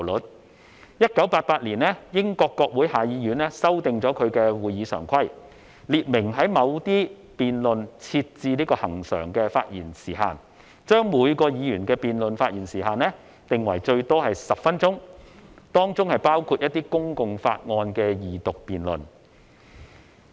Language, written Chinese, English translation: Cantonese, 在1988年，英國國會下議院修訂其會議常規，列明在某些辯論設置恆常的發言時限，將每名議員的辯論發言時限定為最多10分鐘，當中包括一些公共法案的二讀辯論。, In 1988 the House of Commons of the United Kingdom Parliament made a permanent revision on its standing orders to expressly limit the speaking time for certain debates . The speaking time for each member in a debate was limited to 10 minutes including the Second Reading debate on public bills